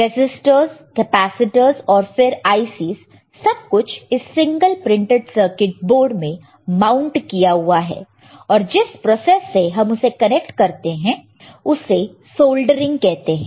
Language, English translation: Hindi, Resistors, capacitors and then your ICs everything mounted on single printed circuit board, how it is how it is connected is connected using a process called soldering